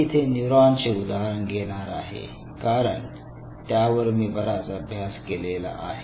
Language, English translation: Marathi, I am taking examples of neurons, because I have done intense work on that area